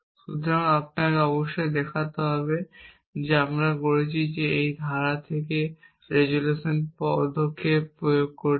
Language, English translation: Bengali, So, you must see that what I am doing is applying the resolution step from this clause